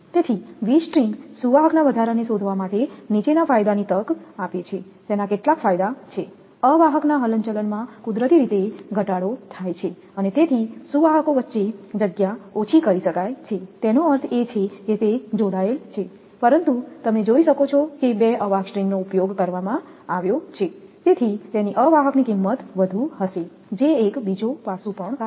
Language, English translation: Gujarati, So, to find increase of V strings conductors offers the following advantage it has some advantages, the insulator swing is reduced naturally and therefore lesser spacing can be provided between the conductors; that means, as if it is connected like but look at that two insulator strings are used, so their insulator cost will be higher that is also another aspect right